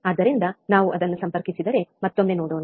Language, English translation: Kannada, So, let us see once again, if we connect it